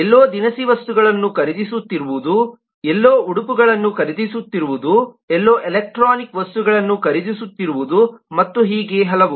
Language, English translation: Kannada, somewhere is buying groceries, somewhere is buying dresses, somewhere is buying electronic goods and so on